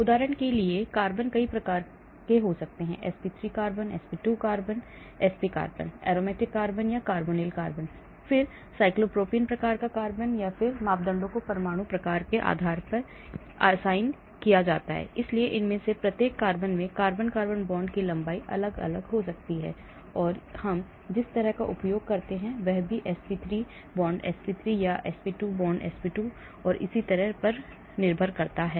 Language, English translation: Hindi, For example, carbon can be many types, sp3 carbon, sp2 carbon, sp carbon, aromatic carbon, carbonyl carbon, then cyclopropane type of carbon, cyclopropene type of carbon so on actually, and then parameters are assigned based on the atom types, so each of these carbon may have different carbon carbon bond length and the constant where we use that also will change depending upon sp3 sp3 or sp2 sp2 and so on